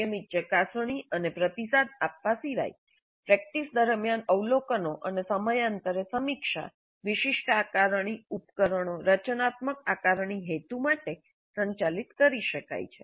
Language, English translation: Gujarati, Apart from the regular probing and responding observations during practice and periodic review, specific assessment instruments could be administered for formative assessment purposes